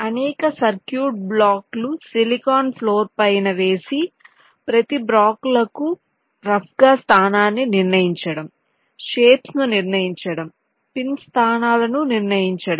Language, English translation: Telugu, a number of circuit block have to be laid out on the silicon floor, determine the rough position of each of the blocks, determine the shapes, determine the pin locations